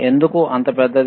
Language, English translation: Telugu, Why it is so bulky